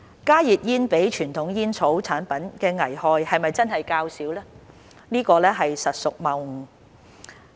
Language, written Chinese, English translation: Cantonese, "加熱煙比傳統煙草產品的危害較少"實屬謬誤。, HTPs are less harmful than traditional tobacco products is actually a fallacy